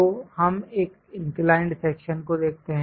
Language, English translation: Hindi, So, let us look at an inclined section